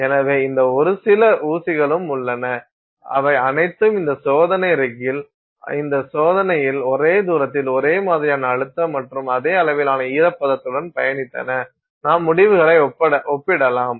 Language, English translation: Tamil, So, then you have these bunch of pins which have all traveled the same distance on this test rig with the same applied pressure and the same level of humidity and you can compare the results